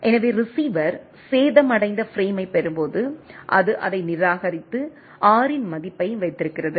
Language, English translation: Tamil, So, when receiver receives a damaged frame, it discards it and keep the value keeps the value of R